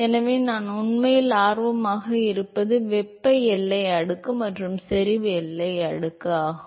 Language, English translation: Tamil, So, what we are really interested in is the thermal boundary layer and the concentration boundary layer